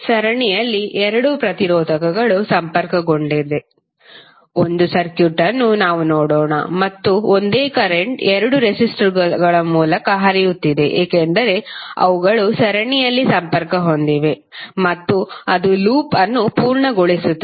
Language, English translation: Kannada, Let us see the circuit below where two resistors are connected in series and the same current is flowing through or both of the resistors because those are connected in the series and it is completing the loop